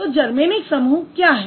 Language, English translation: Hindi, So what is the Germanic type